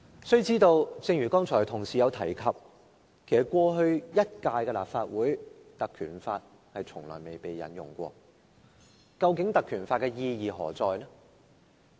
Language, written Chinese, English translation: Cantonese, 須知道，正如有同事剛才提及，在過去一屆的立法會，《條例》其實從來未被成功引用過，究竟《條例》的意義何在呢？, Let us not forget that as some Members have mentioned just now no motion under the Ordinance was passed in the last Legislative Council . What is the use of the Ordinance?